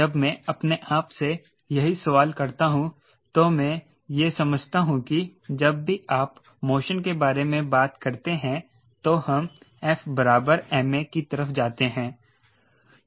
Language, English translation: Hindi, when i ask the same question to myself, i also understand that whenever you talk about motion, we are mapped towards f equal to m, a